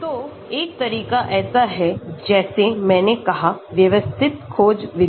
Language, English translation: Hindi, So, one of the approaches is, like I said systematic search method